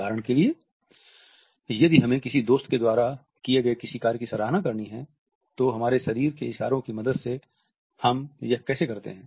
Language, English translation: Hindi, For example, if we have to appreciate a friend for something he or she has just done what exactly do we do with the help of our bodily gestures